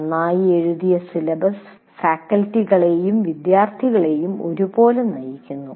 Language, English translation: Malayalam, A well written syllabus guides faculty and students alike